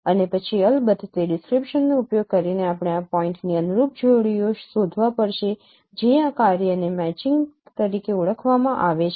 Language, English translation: Gujarati, And then of course using those description we have to find the corresponding pairs of points